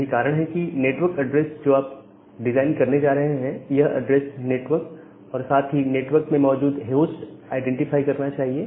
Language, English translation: Hindi, So, that is why, the network address that you are going to design, that should identify the network as well as the host inside the network